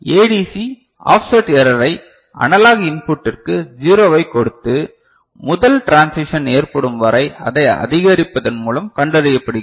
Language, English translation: Tamil, And in ADC offset error is found by giving zero to analog input and increasing it till first transition occurs